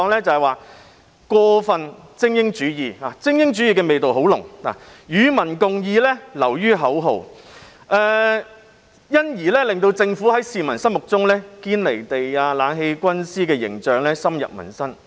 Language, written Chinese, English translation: Cantonese, 就是過分精英主義——精英主義味道很濃——"與民共議"流於口號，因而令政府在市民心目中"堅離地"，其"冷氣軍師"的形象深入民心。, There is an overemphasis on elitism―a strong atmosphere of elitism prevails―and public participation is a mere slogan . For this reason the Government is considered by the public as being detached from reality and its image as a backseat driver has been hammered into their heads